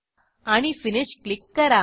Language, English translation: Marathi, And Click on Finish